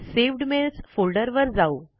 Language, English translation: Marathi, Lets go to the Saved Mails folder